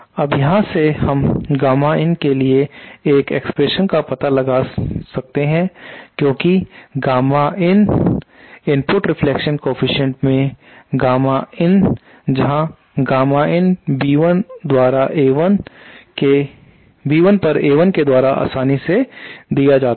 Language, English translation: Hindi, Now from here we can find out an expression for gamma in because gamma in input reflection coefficient is simply given by this gamma in is equal to b 1 upon A 1